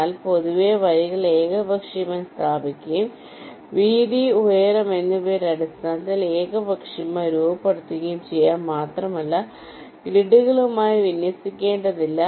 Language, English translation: Malayalam, but in general, the lines can be arbitrarily placed and also arbitrarily shaped in terms of the width, the heights, and also need not be aligned to the grids